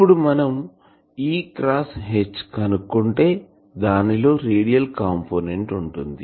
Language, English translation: Telugu, So, you can find that E cross H star that will be having a radial component